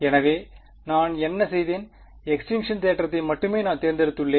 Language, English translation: Tamil, So, what I have done is I have chosen only the extinction theorem right